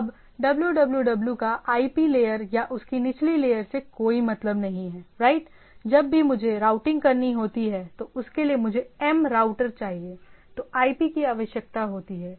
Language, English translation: Hindi, Now www this name does not have any meaning at the IP layer or the down the layer right, say whenever I want a routingm the router requires a IP right